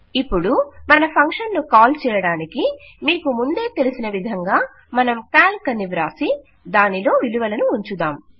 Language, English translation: Telugu, Now to call our function, as you know, we will just say calc and put our values in